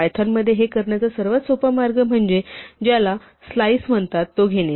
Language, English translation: Marathi, The most simple way to do this in python is to take what is called a slice